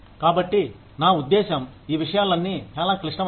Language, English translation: Telugu, So, I mean, all of these things, are very complex